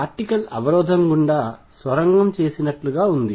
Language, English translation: Telugu, It is as if the particle has tunneled through the barrier